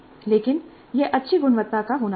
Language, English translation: Hindi, But this must be of a good quality